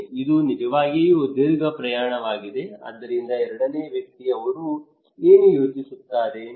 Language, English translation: Kannada, It is really a long journey, so the second person what he would think